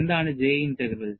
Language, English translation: Malayalam, And what is the J Integral